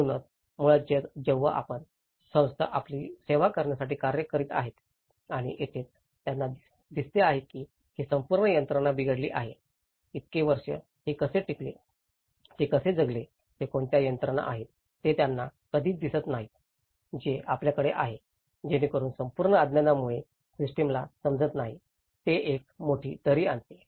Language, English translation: Marathi, So, basically the moment you, the institution comes in working to serve you and that is where they see that this whole system has failed, they never see that how this has survived all these years, how they used to live, what are the mechanisms that they do have, so that complete ignorance of lack of understanding of the system that brings a big gap